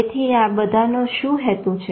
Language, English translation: Gujarati, So, what is the purpose of all this